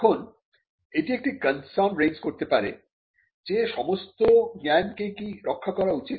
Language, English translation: Bengali, Now, that may raise a concern that should all new knowledge be protected